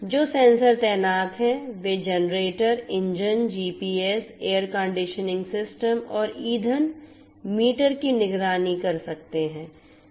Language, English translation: Hindi, The sensors that are deployed can monitor generators, engines, GPS, air conditioning systems and fuel meters